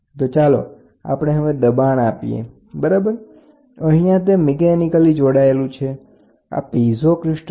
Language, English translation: Gujarati, So, I have to so, through here we will apply pressure, ok, here it is mechanically linked, this is a piezo crystal